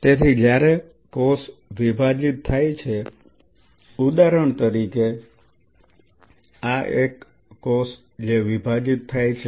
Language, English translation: Gujarati, So, when the cell is dividing say for example, this one cell which is dividing